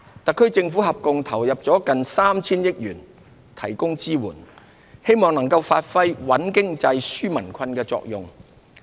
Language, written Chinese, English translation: Cantonese, 特區政府合共投入了接近 3,000 億元提供支援，冀能發揮穩經濟、紓民困的作用。, The Government of the Hong Kong Special Administrative Region has committed a total of nearly 300 billion for supporting measures with a view to stabilizing the economy and relieving peoples burden